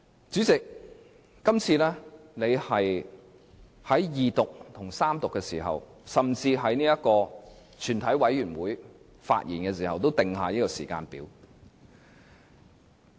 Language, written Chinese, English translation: Cantonese, 主席這一次就二讀辯論和三讀，甚至是全體委員會審議設下時間表。, The Presidents setting of timelines for the second reading debate third reading and even the committee stage has really deprived many Members of their chances to speak